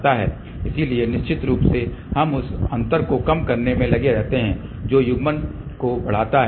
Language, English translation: Hindi, So, of course, we can keep on reducing the gap which increases the coupling